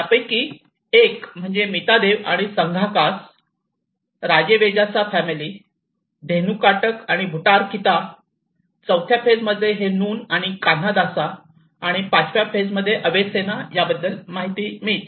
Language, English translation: Marathi, One is the Mitadeva and Sanghakasa, Rajavejasa family, Dhenukakataka and Bhutarakhita and whereas phase IV it talks about Nun and Kanhadasa and phase V Avesena